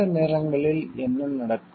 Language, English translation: Tamil, Sometimes what happens